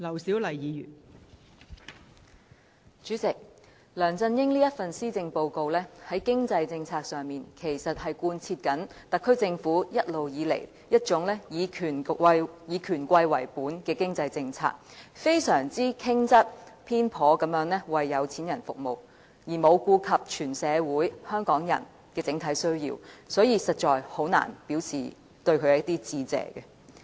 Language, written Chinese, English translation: Cantonese, 代理主席，梁振英這份施政報告在經濟政策上，其實是貫徹特區政府一直以權貴為本的經濟政策，非常傾側、偏頗地為有錢人服務，而沒有顧及全社會、香港人的整體需要，所以我實在難以向他致謝。, Deputy President the economic measures in this Policy Address of LEUNG Chun - ying are characteristic of the SAR Governments long - standing economic policy of favouring the rich and powerful . They are heavily tilted and biased towards the rich completely ignoring the overall needs of society and Hong Kong people . That is why I find it very difficult to thank him